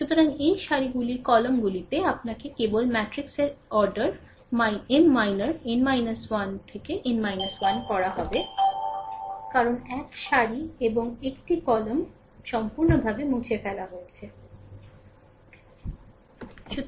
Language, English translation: Bengali, So, this rows columns you have to you have to just eliminate ah rest the matrix order minor will be M minor your n minus 1 into n minus 1, because one row and one column is completely eliminated, right